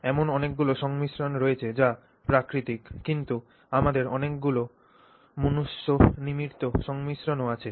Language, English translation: Bengali, There are many composites which are natural then we have made many man made composites and so on